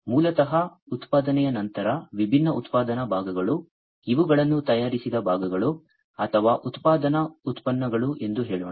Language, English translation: Kannada, So, basically after production the different manufacture parts, let us say, that these are the manufactured parts or you know manufacture products